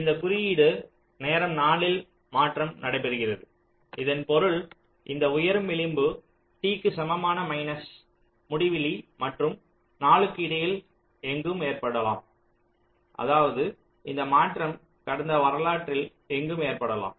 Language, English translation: Tamil, four, this means that this rising edge can occur anywhere between t equal to minus infinity, and four, that means this change can occur anywhere in the past history